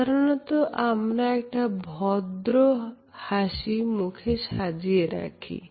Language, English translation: Bengali, We also have what is known as a polite smile